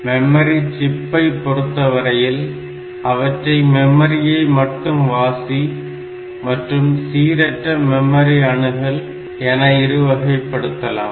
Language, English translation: Tamil, As far as memory chips are concerned so they can be classified into two major classes: one is the ROM that is read only memory, another is RAM which is random access memory